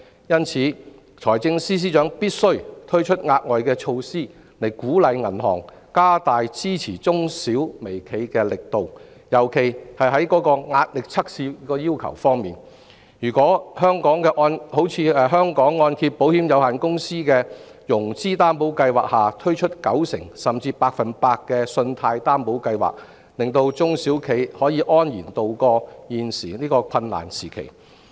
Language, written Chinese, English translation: Cantonese, 因此，財政司司長必須推出額外措施，以鼓勵銀行加大支持中小微企的力度，特別是在壓力測試要求方面，例如在香港按證保險有限公司的融資擔保計劃下推出九成甚至百分百的信貸擔保計劃，讓中小企可以安然渡過現時的困難時期。, Hence it is imperative for the Financial Secretary to roll out additional measures to encourage banks to exert greater efforts in supporting micro small and medium enterprises particularly in respect of the requirement of stress tests . For instance certain 90 % and even 100 % financing guarantee products can be rolled out under the financing guarantee scheme of the Hong Kong Mortgage Corporation Limited to carry small and medium enterprises through these difficult times